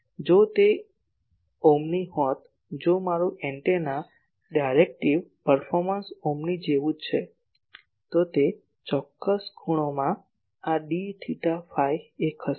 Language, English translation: Gujarati, If it was omni , if my antenna is directive performance is same as omni , then this d theta phi in that particular angle will be 1